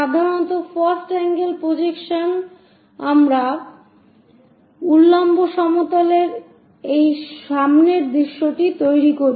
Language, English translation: Bengali, Usually in first angle projection we construct this front view on the vertical plane